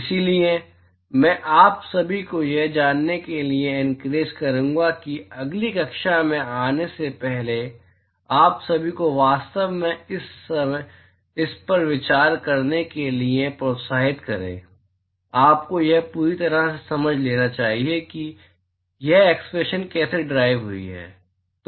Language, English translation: Hindi, So, I would, you know, encourage all of you actually go over this before you come to the next class you must completely understand how this expression is derived